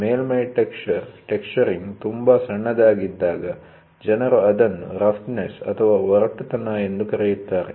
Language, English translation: Kannada, The surface texture, people say when the texturing is very small, they call it as roughness